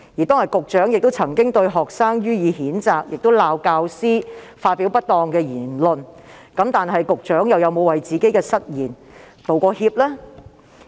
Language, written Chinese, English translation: Cantonese, 當天局長對學生予以譴責，亦指責教師發表不當言論。然而，局長又有否為自己的失言致歉呢？, On that day the Secretary condemned the students and blamed the teachers for making improper remarks but has the Secretary apologized for his own inappropriate remarks?